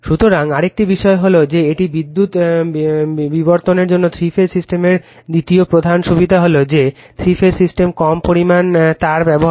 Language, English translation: Bengali, So, another thing is that that is second major advantage of three phase system for power distribution is that the three phase system uses a lesser amount of wire right